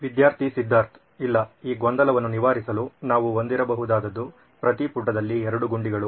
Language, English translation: Kannada, Student Siddhartha: No, then to clear this confusion what we can have is two buttons on every page